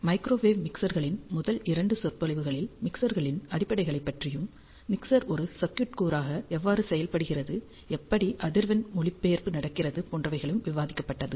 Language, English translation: Tamil, So, in the first two lectures of microwave mixers, we discussed about the fundamentals of mixers, how mixer works as a circuit element, how the frequency translation happens